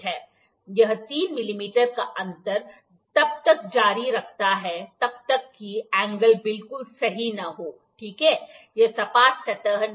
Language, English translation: Hindi, It is keep on continuing 3 mm difference till the angle is not at all correct, ok, this is not the flat surface